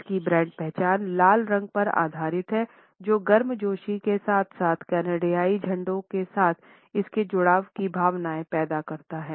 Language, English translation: Hindi, Its brand identity is based on red which evokes feelings of warmth as well as its associations with the colors of the Canadian flag